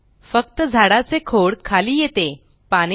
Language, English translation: Marathi, Only the tree trunk moves down the leaves dont